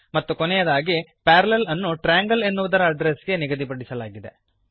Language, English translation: Kannada, And at last we assign Parallel to the address of Triangle trgl